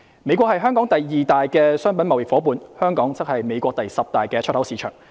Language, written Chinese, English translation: Cantonese, 美國是香港第二大的商品貿易夥伴，香港則是美國第十大的出口市場。, The United States is Hong Kongs second largest merchandise trading partner in the world while Hong Kong is the United States tenth largest export market